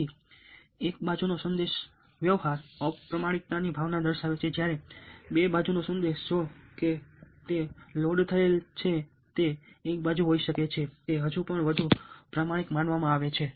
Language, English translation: Gujarati, so one sided message indicate communicative sense of ah, dishonesty, whereas the two sided message, however loaded might be on one side, is still considered to be more honest